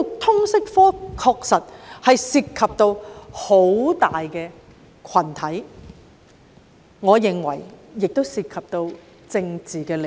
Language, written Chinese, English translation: Cantonese, 通識科確實涉及很大的群體，而我認為當中更涉及政治利益。, While the LS subject does involve a sizable group of people I think it involves political interests as well